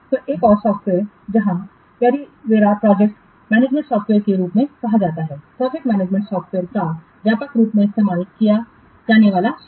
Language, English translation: Hindi, So, another software is there called as a prima amvara project management software which is widely which is widely used suit of project management software